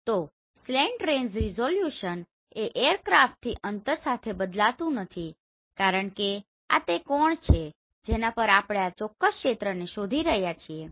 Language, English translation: Gujarati, So the slant range resolution does not change with distance from the aircraft right the slant range resolution because this is one angle at which we are looking this particular area